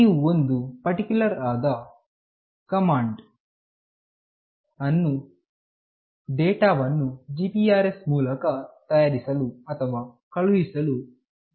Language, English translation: Kannada, You have to use the particular command to make or send the data through GPRS